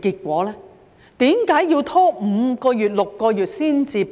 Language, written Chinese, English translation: Cantonese, 為何要拖5個月、6個月才提供？, Why was there a delay of five to six months?